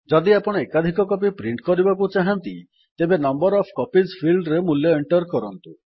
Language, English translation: Odia, If you want to print multiple copies of the document, then enter the value in the Number of copies field